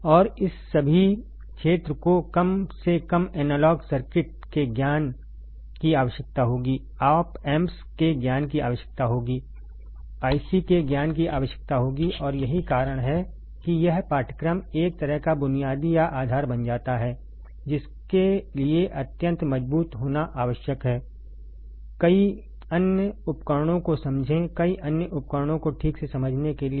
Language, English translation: Hindi, And all this area more or less will require the knowledge of analog circuits, will require the knowledge of op amps, will require the knowledge of ICs and that is why this course becomes kind of basic or the base that needs to be extremely strong to understand further several devices, to understand several other devices all right